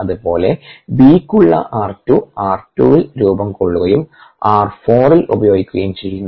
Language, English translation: Malayalam, similarly, r two for b, formed at r two and getting consumed at r four